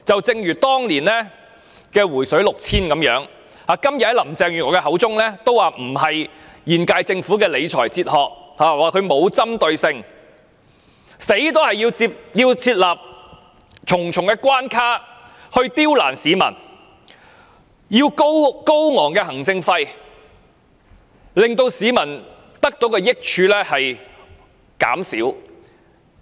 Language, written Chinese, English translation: Cantonese, 一如當年"回水 "6,000 元般，林鄭月娥今天亦表示這不符合現屆政府的理財哲學，又批評這做法不具針對性，寧死也要設立重重關卡刁難市民，例如花高昂行政費，以致市民得到的好處減少。, Even today Carrie LAM still maintains that this is not in line with the present Governments philosophy of fiscal management while also criticizing this initiative for its lack of a specific target . This explains why she insists on imposing various barricades ones which have brought much inconvenience to people and incurred very high administrative costs . In the end people can get much less benefits